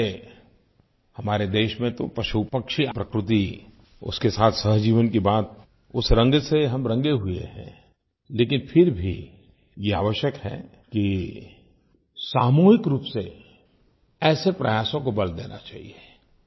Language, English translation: Hindi, In our country, we are traditionally imbued with a sense of symbiotic coexistence with animals, birds and nature yet it is necessary that collective efforts in this regard should be emphasized